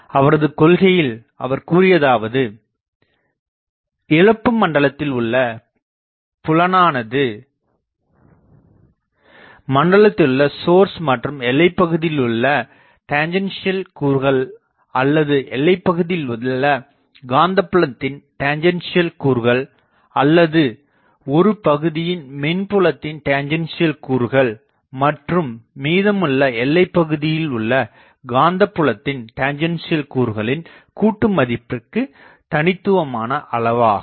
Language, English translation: Tamil, So, what he said is the field in a lossy region is uniquely specified by the sources within the region, plus the tangential components of the electric field over the boundary or the tangential component of the magnetic fields over the boundary or the former over part of the boundary and the latter over part of the latter over rest of the boundary